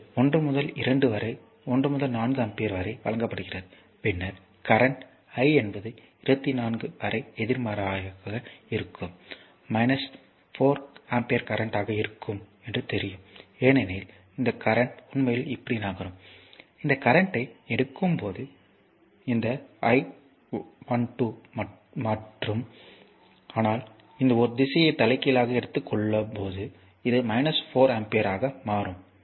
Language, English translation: Tamil, So, it is 1 to 2 it is given 1 to 4 ampere, then what will be I to 21 it will just opposite know it will be minus 4 because this current actually moving like this, when you take this current is coming like this I 12 and, but when you take reverse a direction that I 21 it will be minus 4 ampere